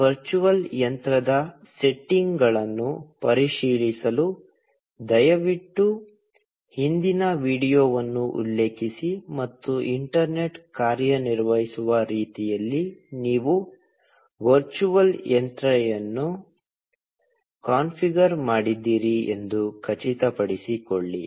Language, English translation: Kannada, Please refer to the previous video, to check the settings of this virtual machine, and make sure that, you have configured the virtual machine in a way that the internet works